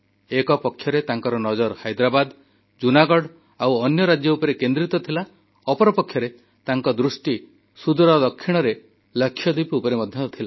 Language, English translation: Odia, On the one hand, he concentrated on Hyderabad, Junagarh and other States; on the other, he was watching far flung Lakshadweep intently